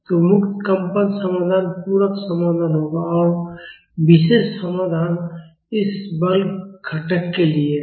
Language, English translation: Hindi, So, the free vibration solution will be the complementary solution and the particular solution is for this force component